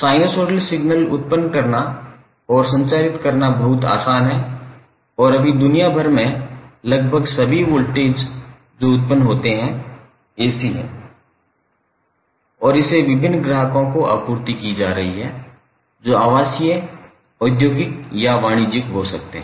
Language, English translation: Hindi, Sinosoidal signal is very easy to generate and transmit and right now almost all part of the world the voltage which is generated is AC and it is being supplied to various loads that may be residential, industrial or commercial